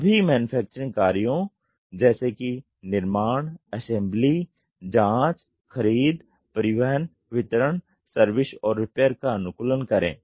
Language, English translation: Hindi, Optimize all the manufacturing functions like; fabrication, assembly, testing, procurement, shipping, delivery, service, and repair